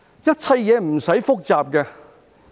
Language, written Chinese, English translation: Cantonese, 一切事情無須複雜。, We should not make it so complicated